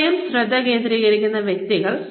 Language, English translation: Malayalam, Individuals focusing on themselves